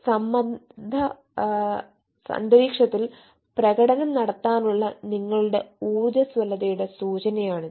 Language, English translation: Malayalam, that is an indication of your resilience to perform under pressure